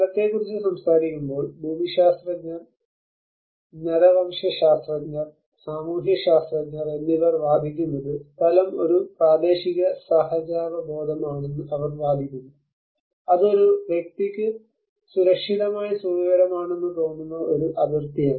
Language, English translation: Malayalam, When we talk about place many of the theories geographers, anthropologist, sociologists they argue as place is a territorial instinct, it is a boundary which where a person feels safe comfortable delivered